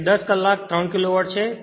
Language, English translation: Gujarati, So, 10 hour, 3 kilowatt